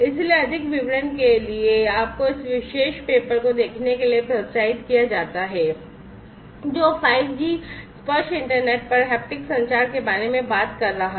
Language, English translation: Hindi, So, for more details you are encouraged to look at this particular paper, which is talking about towards haptic communication over the 5G tactile internet